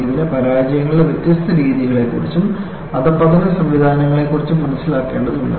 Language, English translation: Malayalam, It requires understanding of the different modes of failures and degradation mechanisms